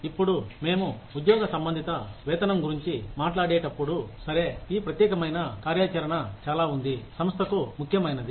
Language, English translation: Telugu, Now, when we talk about, job related pay, we say that okay, this particular activity is very important for the organization